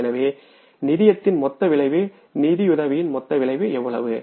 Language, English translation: Tamil, So total effect of financing, total effect of financing is how much negative